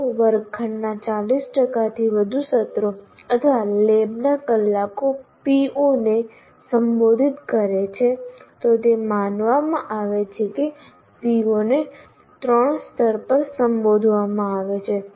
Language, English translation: Gujarati, For example, if more than 40% of classroom sessions or lab hours addressing a particular PO, it is considered that PO is addressed at level 3